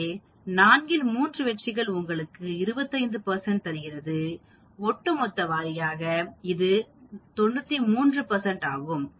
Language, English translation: Tamil, So, 3 successes out of 4 it gives you 25 percent, cumulative wise it is 93 percent